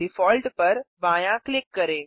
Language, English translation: Hindi, Left click Default